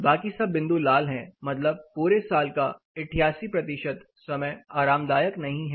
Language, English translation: Hindi, Rest are all in red that means, 88 percent of the time in the year it is not comfortable